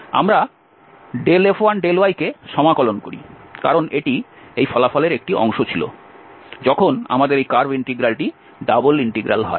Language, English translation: Bengali, So now what we do here we integrate Del F 1 over Del y, because that was a part in this result when we have this curve integral to the double integral